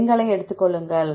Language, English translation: Tamil, Take these number